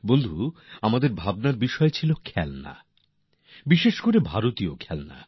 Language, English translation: Bengali, Friends, the subject that we contemplated over was toys and especially Indian toys